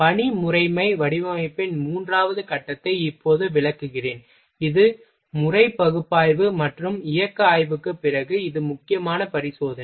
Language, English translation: Tamil, I will explain now third step of work system design that is the after method analysis and motional study, then this is the critical examination